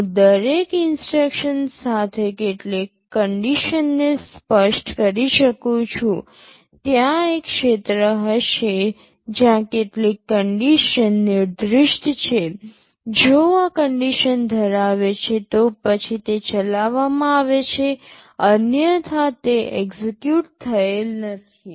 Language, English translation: Gujarati, I can specify some condition along with every instruction, there will be a field where some condition is specified; if this condition holds, then it is executed; otherwise it is not executed